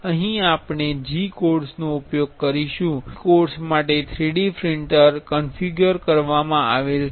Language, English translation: Gujarati, Here we will be using G codes the 3D printer is configured for the G codes